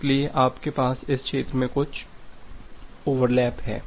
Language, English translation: Hindi, So, you have certain overlap here in this region